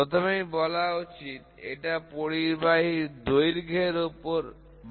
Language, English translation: Bengali, First is, it increases with length of the conductor